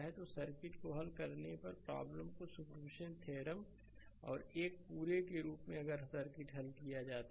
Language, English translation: Hindi, So, problem is solved right superposition theorem and your as a whole if you solve the circuit